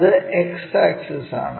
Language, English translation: Malayalam, This is X axis this is Y axis